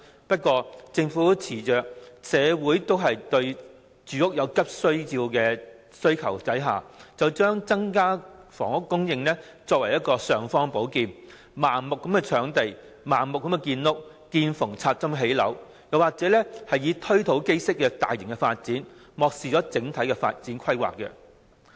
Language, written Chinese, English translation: Cantonese, 不過，政府恃着社會對住屋有急切的需求，便將增加房屋供應作為"尚方寶劍"，盲目搶地、"見縫插針"地盲目建屋，或進行"推土機式"的大型發展，漠視整體發展規劃。, As the community has urgent needs for housing the Government regards increasing housing supply as the imperial sword and blindly snatches land blindly develops housing by making use of every single space or adopts a bull - dozer approach in implementing large - scale development ignoring overall development planning